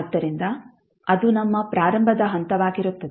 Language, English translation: Kannada, So, that would be our starting point